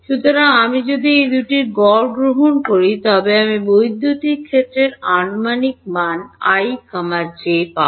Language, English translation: Bengali, So, if I take the average of those two I will get an approximate value of the electric field at i comma j